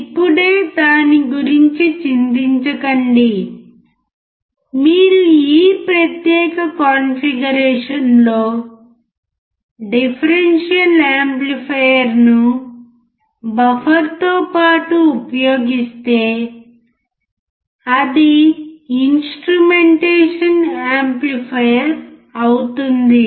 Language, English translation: Telugu, Do not worry about it for now let us just understand that, if you use the differential amplifier in this particular configuration along with the buffer a big it makes the instrumentation amplifier